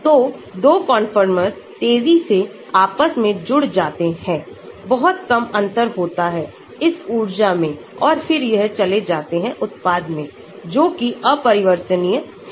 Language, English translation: Hindi, So, 2 conformers interconvert rapidly, there is very small difference in that energy and then they go into product, that which is irreversible